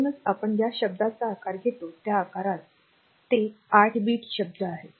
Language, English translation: Marathi, So, that word size is in whatever we have discussed they are eight bit word